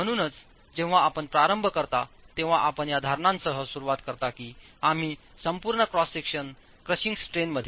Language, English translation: Marathi, So when you begin, you begin with the assumption that we are at the crushing strain in all the entire cross section